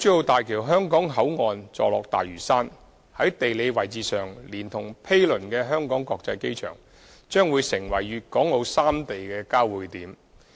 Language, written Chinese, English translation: Cantonese, 大橋香港口岸座落大嶼山，在地理位置上，連同毗鄰的香港國際機場，將會成為粵港澳三地的交匯點。, HKBCF of HZMB situated at Lantau Island together with the adjacent Hong Kong International Airport will become the geographical converging point of Guangdong Hong Kong and Macao